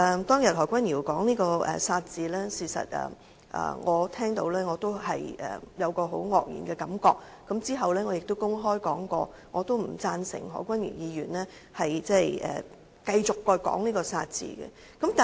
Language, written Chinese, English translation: Cantonese, 當日何君堯議員說出"殺"字，我聽到後也感到很愕然，其後亦曾公開表示不贊成何君堯議員繼續使用這個"殺"字。, I was also shocked to hear Dr Junius HO saying the word kill on the day and later I indicated in public that I did not approve of Dr Junius HO using that word kill any more